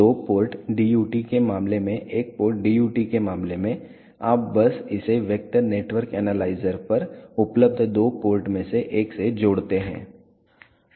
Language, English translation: Hindi, In case of two port DUT in case of one port DUT you simply connected to one of the two ports available at the vector network analyzer